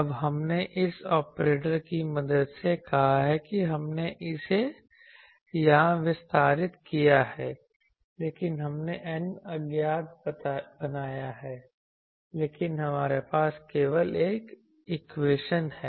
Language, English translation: Hindi, Now, we have said this operator with the help of that we have expanded it here, but we have created n unknowns, but we have only one equation